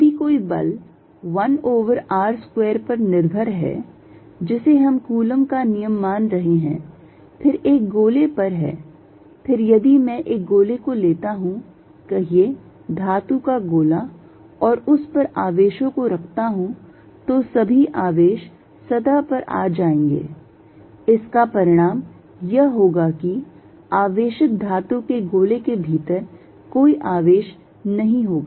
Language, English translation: Hindi, If a force is 1 over r square dependent which we are assuming coulomb's law is then on a sphere, then if I take a sphere, say metallic sphere and put charges on it all the charges will come to the surface with the result that there will be no charge inside a charged metal sphere